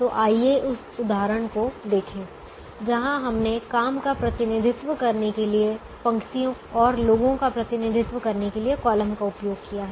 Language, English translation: Hindi, so let us look at this example where we used the rows to represent the jobs and we used the columns to represent the people